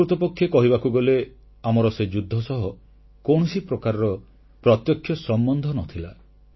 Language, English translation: Odia, Rightly speaking we had no direct connection with that war